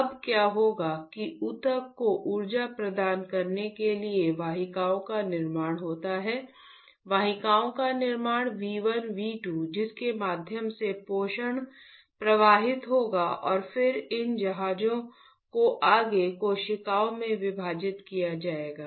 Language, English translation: Hindi, Now, what will happen is to provide the energy to the tissue there is formation of vessels, formation of vessels V 1 V 2 through which the nutrition will flow and then these vessels will be further divided into capillaries like that